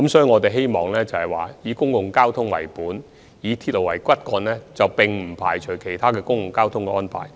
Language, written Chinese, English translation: Cantonese, 我們的交通政策是以公共交通為本、以鐵路為骨幹，但亦以其他公共交通安排配合。, Our transport policy is underpinned by public transport with railway as the backbone but also with the support of other public transport arrangements